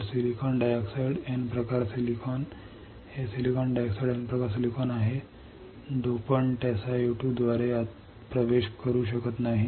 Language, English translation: Marathi, So, the silicon dioxide the N type silicon; this is silicon dioxide N type silicon, the dopant cannot penetrate through SiO 2